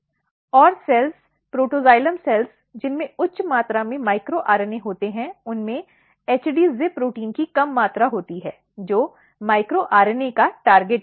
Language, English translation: Hindi, And the cells, protoxylem cells therefore which has high amount micro RNA has low amount of HD ZIP protein which is target of micro RNA